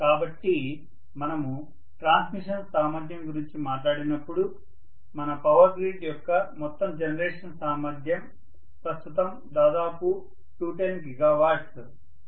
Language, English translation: Telugu, So when we talk about transmission capacity, the overall generation capacity of our Power Grid, right now is about 210 gigawatt, okay